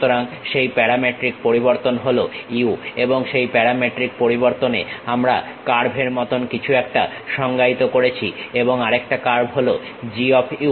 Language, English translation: Bengali, So, that parametric variation is u and on the parametric variation we are defining something like a curve it goes along that the specialized direction and other curve is G of u